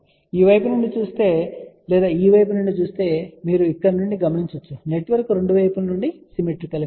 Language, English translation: Telugu, You can see from here if you look from this side or we look from this side network is symmetrical from both the sides